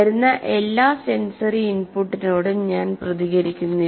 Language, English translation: Malayalam, I do not respond to each and every what do you call sensory input that comes